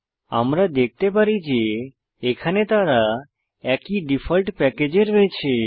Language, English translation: Bengali, We can see that here they are in the same default package